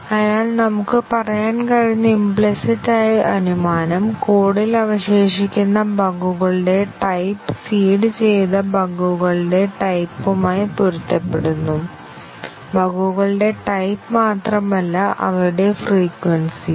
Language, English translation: Malayalam, So, the implicit assumption we can say is that, the type of the bugs that remain in the code matches with the type of the bugs that are seeded; not only the type of the bugs, but also their frequency